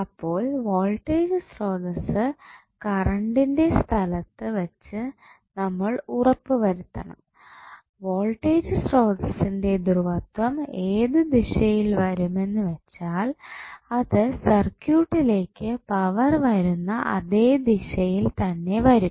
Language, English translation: Malayalam, So, if you place the voltage source at current location, you have to make sure that the polarity of voltage source would be in such a way that it will give power to the circuit in the same direction as the previous direction of the current was